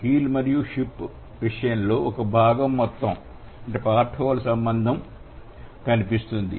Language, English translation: Telugu, But in case of keel and ship there would be a part whole relation